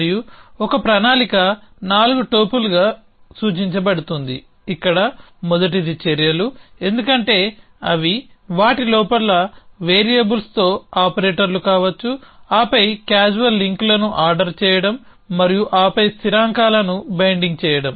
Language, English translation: Telugu, And a plan in represented as a 4 topple where the first one is actions as they could be operators with variables inside them then ordering links the causal links and then binding constants